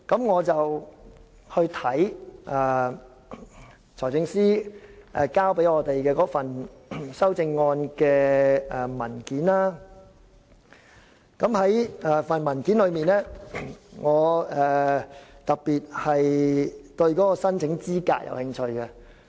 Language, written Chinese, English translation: Cantonese, 我參閱財政司司長交給我們的修正案文件，在文件中，我特別對申請資格有興趣。, I have read the paper submitted to us by the Financial Secretary on the amendments concerned . In the paper I am particularly interested in the eligibility criteria